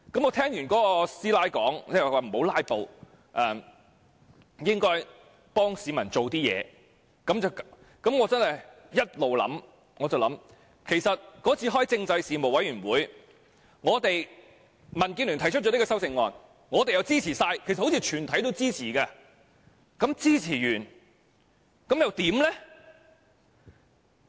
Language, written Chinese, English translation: Cantonese, 我聽完那大嬸說不要"拉布"，應該為市民做點事後，我一直在想，其實那次民建聯在政制事務委員會提出這項修正案，我們全部支持，印象中全體委員均支持，但支持後又如何？, Since that day when she asked me not to filibuster and said that I should do some real work I have been thinking we all supported DABs motion in the Panel on Constitutional Affairs . I have an impression that all members supported it but then what?